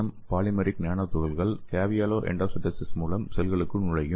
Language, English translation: Tamil, And 200 nanometer polymeric nanoparticles would enter these cells through caveolae endocytosis